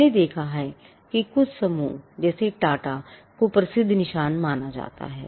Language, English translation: Hindi, We have seen that some conglomerates like, TATA are regarded as well known marks